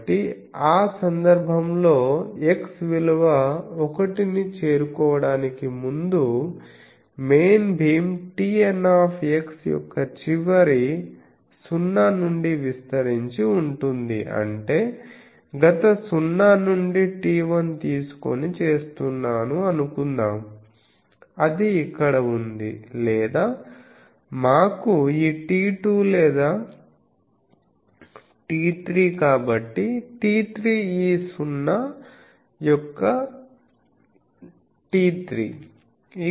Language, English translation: Telugu, So, the in that case the main beam extends from the last 0 of T n x before x reaches the value of 1; that means, last 0 is here suppose I am taking T 1 or let us say this is T 2 or T 3 so, T 3 is this is the 0 of T 3